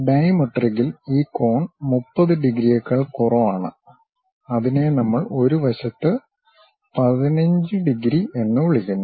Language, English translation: Malayalam, In dimetric, this angle is lower than 30 degrees, which we call 15 degrees on one side